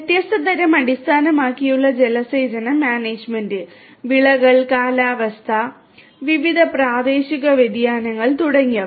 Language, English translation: Malayalam, Irrigation management based on the different types of; crops, climatic conditions, different regional variations and so on